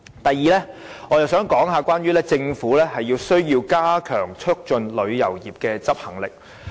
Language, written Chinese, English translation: Cantonese, 第二，我想談談關於政府有需要加強促進旅遊業的執行力。, Second I would like to talk about the need for the Government to strengthen its execution capability in promoting tourism